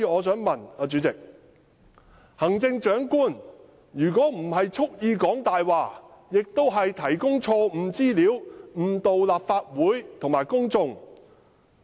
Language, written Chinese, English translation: Cantonese, 主席，行政長官即使不是蓄意說謊，也是提供錯誤的資料，誤導立法會和公眾。, President even if the Chief Executive was not deliberately telling a lie she was providing wrong information and misleading the Legislative Council and the public